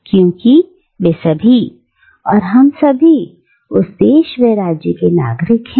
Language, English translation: Hindi, Because all of them, all of us are citizens of that world state